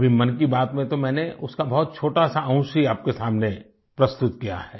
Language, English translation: Hindi, In this 'Mann Ki Baat', I have presented for you only a tiny excerpt